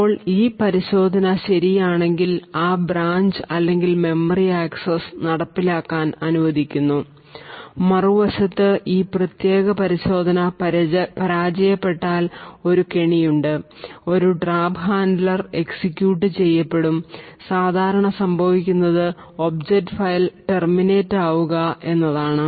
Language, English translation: Malayalam, Now if this check holds true then we permit the execution of that branch or memory axis, on the other hand if this particular check fails then there is a trap and a trap handler is executed typically what would happen is that the object file would terminate